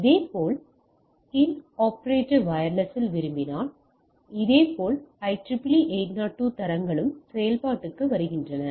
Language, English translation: Tamil, So likewise if you want to in intraoperative wireless, similarly IEEE 802 standards come into play